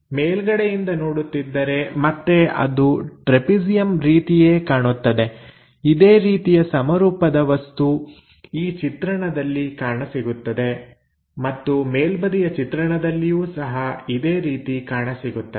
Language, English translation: Kannada, If we are looking from top, again it looks like trapezium; the same symmetric object comes from this view and also from top view